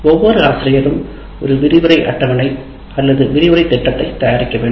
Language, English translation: Tamil, That is every teacher will have to prepare a lecture schedule or a lecture plan